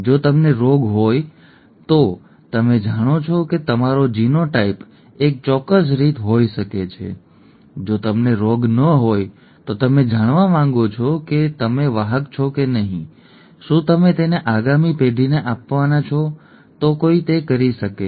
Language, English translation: Gujarati, If you have the disease you know that your genotype could be a certain way, if you do not have the disease you would like to know whether you are a carrier, whether you are going to pass it on to the next generation, one can do that